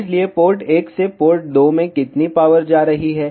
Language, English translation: Hindi, So, how much power is going from port 1 to port 2